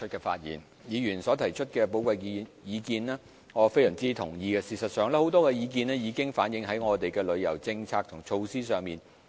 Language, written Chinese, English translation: Cantonese, 對於議員所提出的寶貴意見，我非常同意，而事實上很多意見已經反映在我們的旅遊政策及措施上。, I very much agree with the valuable views given by Members and in fact many of such views have been reflected in our tourism policies and measures